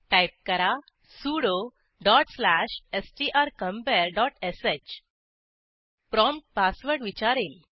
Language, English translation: Marathi, Type: sudo dot slash strcompare dot sh It will prompt for an password